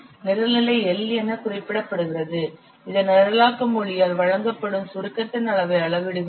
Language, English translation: Tamil, The program level which is represented as L, it measures the level of abstraction which is provided by the programming language